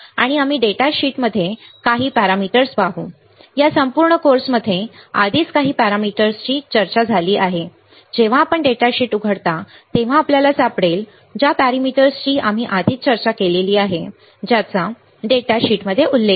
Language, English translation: Marathi, And we will we will see some of the parameters in the data sheet, few of the parameters are already discussed in this entire course you will find it when you open a data sheet lot of parameters we have already discussed which are mentioned in the data sheet